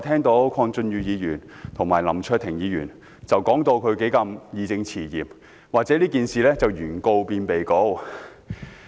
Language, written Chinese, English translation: Cantonese, 剛才鄺俊宇議員和林卓廷議員說得義正詞嚴，批評議案把事件中的原告變成被告。, Just now Mr KWONG Chun - yu and Mr LAM Cheuk - ting spoke sternly with the force of justice and criticized the motion of turning the plaintiff of the case into the defendant